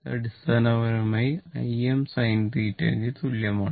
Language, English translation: Malayalam, So, it is basically i is equal to I m sin theta